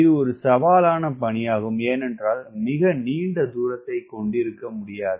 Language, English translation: Tamil, its a challenging task because you cannot have very large takeoff distance